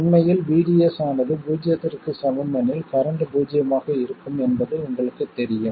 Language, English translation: Tamil, In fact you know that for VDS equal to 0 the current will be 0